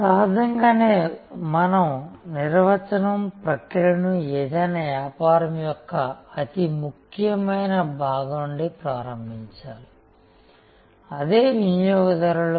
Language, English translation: Telugu, Obviously, it means that we have to start our definition process from the most important part of any business and that is customers